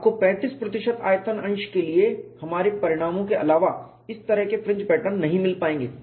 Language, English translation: Hindi, You do not find these kinds of fringe patterns other than our results for a 35 percent volume fraction